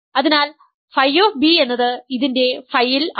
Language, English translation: Malayalam, So, phi of b is phi of, is in phi of this